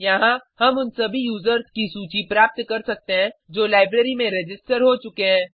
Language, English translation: Hindi, Here, we get the list of all the users who have registered in the library